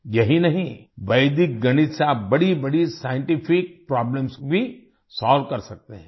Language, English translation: Hindi, Not only this, you can also solve big scientific problems with Vedic mathematics